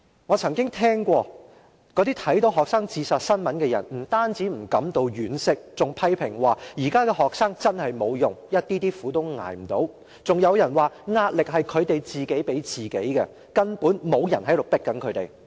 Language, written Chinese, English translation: Cantonese, "我曾經聽過有看到學生自殺新聞的人，不但不感到惋惜，還批評說'現在的學生真無用，一點點苦也捱不了'，更有人說'壓力是他們自己給自己的，根本沒人在迫他們'。, I once heard the comments made by someone after reading the news report on student committing suicide . Not only did he show no sign of sympathy he even criticized that students nowadays are really useless they cant even bear the slightest suffering; some even said the pressure is self - imposed no one is pressing them